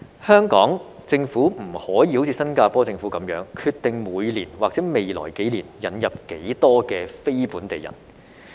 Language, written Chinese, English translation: Cantonese, 香港政府不可以像新加坡政府般決定每年或未來幾年引入多少非本地人。, Unlike the Singaporean government the Hong Kong Government cannot determine how many non - local people will be brought in each year or in the next few years